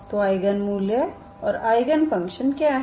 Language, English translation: Hindi, So what are the eigenvalues and eigen functions